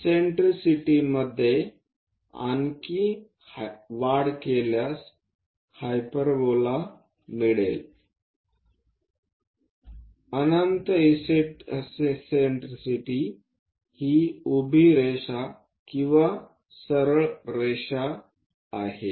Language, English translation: Marathi, Further increase in eccentricity one will be going to get a hyperbola; infinite eccentricity is the vertical line or this straight line